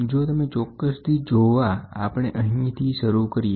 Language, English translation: Gujarati, If you are more particular, we can start from here